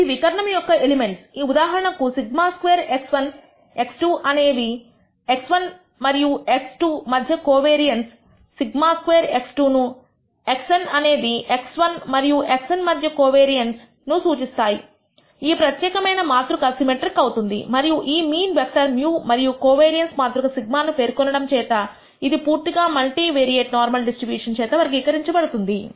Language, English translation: Telugu, Those are the o diagonal elements for example, sigma x 1, x 2 represents the covariance between x 1 and x 2 sigma x 1, x n represents the covariance between x 1 and x n this particular matrix is symmetric and we completely characterized the multivariate normal distribution by specifying this mean vector mu and the covariance matrix sigma